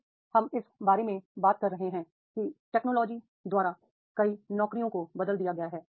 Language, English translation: Hindi, Now we are talking about that is many jobs are replaced by the technology